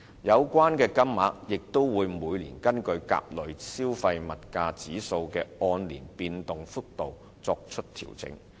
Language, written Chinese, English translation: Cantonese, 有關金額也會每年根據甲類消費物價指數的按年變動幅度作出調整。, The relevant rates will be subject to annual adjustments in accordance with the movement of Consumer Price Index A every year